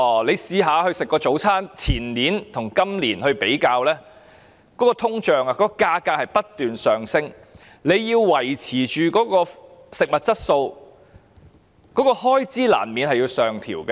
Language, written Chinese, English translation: Cantonese, 即使是早餐的價錢，如果把前年的價錢與今年的比較，大家會發現價格隨着通脹不斷上升，要維持食物的質素，開支難免要上調。, Even when it comes to breakfast if we compare the price in the year before last with that of this year we will find that the price has continuously increased in tandem with inflation . To maintain the quality of food it is inevitable for the expenditure to be adjusted upwards . I have done some studies